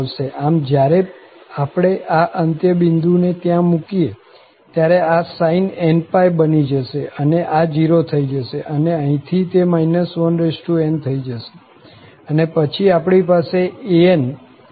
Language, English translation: Gujarati, So, when we put this end points there, this will be sin npi, so it will become 0 and then here, it will become minus 1 power n and then, we have these an’s there